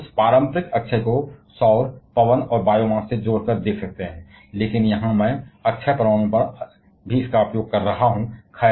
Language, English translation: Hindi, Now renewable conventional we attach this terms to solar, wind and biomass, but here I am using that on renewable nuclear also